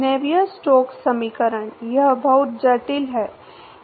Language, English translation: Hindi, Navier Stokes equation, well that is too complex